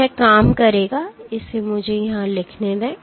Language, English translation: Hindi, So, this will work let me write it down here